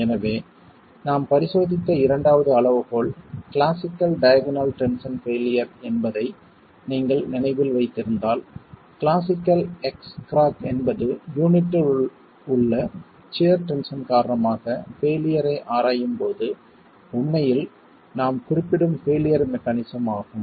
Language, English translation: Tamil, So, if you remember the second criterion that we were examining is the classical diagonal tension failure, the classical X crack that is formed is the failure mechanism that we are actually referring to when we are examining failure due to shear tension in the unit